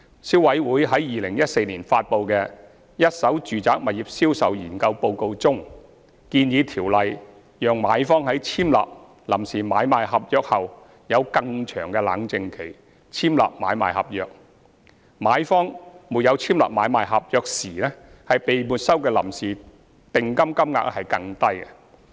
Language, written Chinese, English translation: Cantonese, 消委會在2014年發布的《一手住宅物業銷售研究報告》中建議，《條例》讓買方在簽立臨時買賣合約後有更長"冷靜期"簽立買賣合約，以及在買方沒有簽立買賣合約時被沒收的臨時訂金金額更低。, According to the Study on the Sales of First - hand Residential Properties published by CC in 2014 CC proposed that the Ordinance should offer a longer cooling - off period for purchasers to sign an ASP after signing PASP and that the amount of preliminary deposit to be forfeited should be lowered in case a purchaser does not execute an ASP